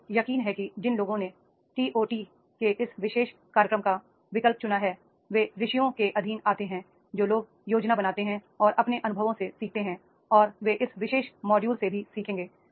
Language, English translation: Hindi, I am sure that those who have opted for this particular program of TOT they come under the stages, those who have both planned and learn from their experiences and they will learn out of this particular module also